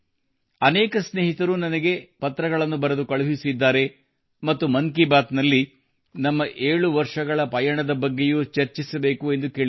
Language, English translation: Kannada, Many friends have sent me letters and said that in 'Mann Ki Baat', I should also discuss our mutual journey of 7 years